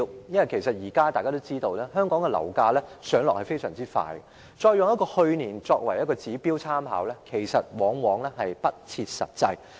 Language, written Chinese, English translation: Cantonese, 因為大家也知道，現時香港的樓價上落非常快，以去年樓價作為參考指標，往往不切實際。, As Members are aware property prices in Hong Kong are subject to rapid ups and downs thus it is often unrealistic to use property prices of the preceding year as the reference indicator